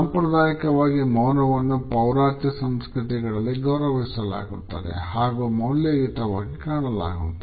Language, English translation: Kannada, Conventionally silence is respected in Eastern cultures and it is valued